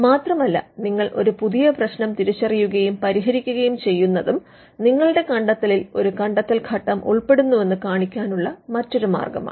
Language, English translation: Malayalam, Because and if you identify and solve a brand new problem, again that is yet another way to show that your invention involves an inventive step